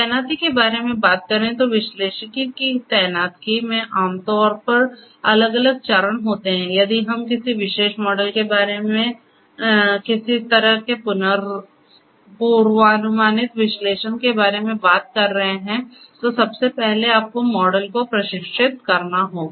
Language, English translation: Hindi, Talking about the deployment; deployment of analytics typically consists of different steps first you have to train if we are talking about some kind of predictive analytics you have to train a particular model